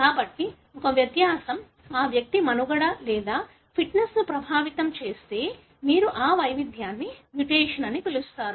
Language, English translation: Telugu, So, if a variation affects the survival or fitness of that individual, then you call that variation as mutation